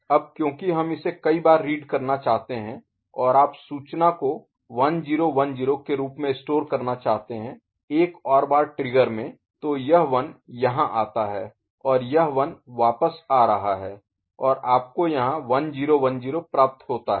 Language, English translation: Hindi, Now because we want to read it as many number of times and you want to store the information in 1010 form one more clock trigger, so this 1 comes over here and this 1 is coming back and 1010 you get here ok